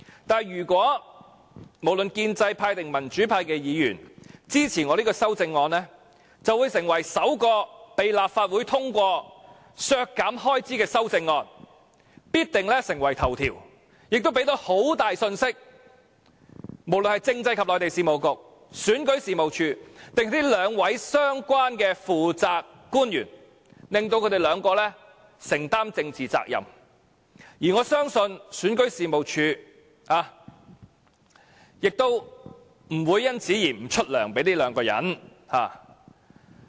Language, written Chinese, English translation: Cantonese, 但是，如果無論建制派或民主派議員均支持我這項修正案，便會成為首項被立法會通過削減開支的修正案，必定成為新聞頭條，亦能向政制及內地事務局、選舉事務處和兩位相關的負責官員發出很大的信息，令他們二人承擔政治責任，而我相信選舉事務處亦不會因此不發薪酬給二人。, However if both pro - establishment and democratic Members unanimously support this amendment of mine it will definitely become a headline . This will then send an important message to the Constitutional and Mainland Affairs Bureau REO and the two responsible officials concerned and make the two officials bear the political responsibilities . And I believe that this will not prompt REO to stop giving emoluments to them